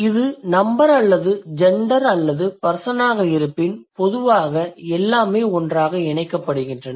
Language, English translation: Tamil, But if it is number or gender, or person, it's generally everything is clubbed together, right